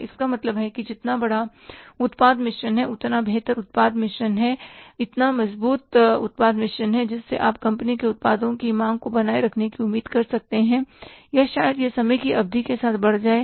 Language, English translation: Hindi, So, it means larger the product makes, better the product makes, stronger the product makes, you can expect sustenance of the demand for the company's products or maybe it can grow with the period of time